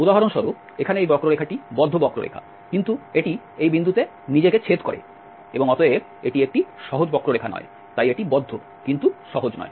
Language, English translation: Bengali, For instance here this curve is closed curve, but it intersect itself at this point and hence this is not a simple, so it is closed, but not simple